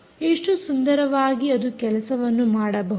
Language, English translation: Kannada, what a beautiful way it can do things